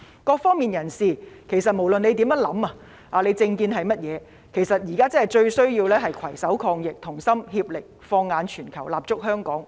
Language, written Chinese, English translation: Cantonese, 各方人士，不管政見為何，面對疫情來勢洶洶，現在最需要的是攜手抗疫，同心協力，放眼全球，立足香港。, Facing the fierce epidemic people from all walks of life regardless of their political stance need to work together to fight the epidemic . While we are based in Hong Kong we should also have a global vision